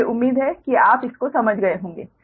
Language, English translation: Hindi, hope this you have understood